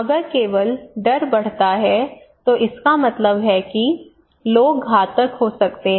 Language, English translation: Hindi, If only increasing fear it means people could be become fatalist